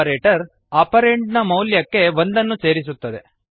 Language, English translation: Kannada, The operator decreases the existing value of the operand by one